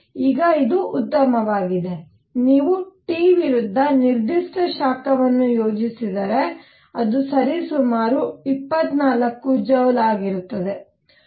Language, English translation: Kannada, Now this is fine, this is what was observed that if you plot specific heat versus T, it was roughly 24 joules